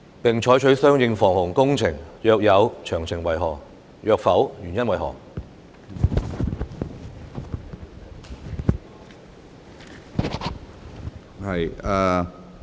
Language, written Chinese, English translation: Cantonese, 並採取相應防洪工程；若有，詳情為何；若否，原因為何？, and carried out corresponding flood prevention works; if so of the details; if not the reasons for that?